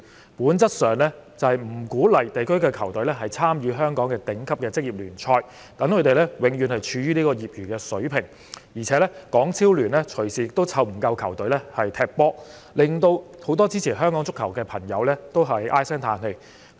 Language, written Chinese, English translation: Cantonese, 政府政策上不鼓勵區隊參與香港的頂級職業聯賽，使球隊永遠處於業餘水平，而港超聯隨時沒有足夠球隊參與比賽，令很多支持香港足球的球迷唉聲歎氣。, As the government policy does not encourage district teams to participate in the top professional leagues in Hong Kong the teams are always at an amateur level . Given that HKPL may not have enough teams to participate in the matches at any time many football fans in Hong Kong are sad